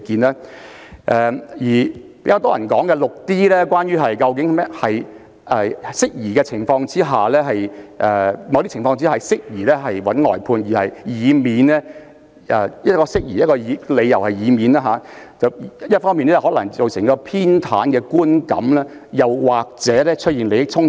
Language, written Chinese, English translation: Cantonese, 至於較多人討論的第 6d 項，則涉及一些適宜外判的情況，指出在某些情況下適宜尋求外間律師的意見，以免一方面造成偏袒的觀感，另一方面出現利益衝突。, With regard to the much - discussed 6d it involves some circumstances which are deemed appropriate to brief out and point out that under certain circumstances it is appropriate to obtain external legal advice so as to address possible perception of bias on the one hand while avoid issues of conflict of interests on the other